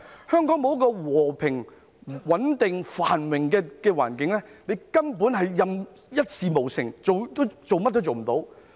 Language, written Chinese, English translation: Cantonese, 香港沒有和平、穩定、繁榮的環境，它根本一事無成，甚麼都做不到。, Without a peaceful stable and prosperous environment it will achieve nothing and can do nothing at all